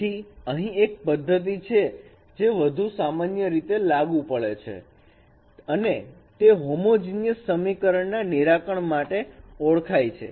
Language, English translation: Gujarati, So there is a method which is more generally applicable and that is called solving solution of homogeneous equations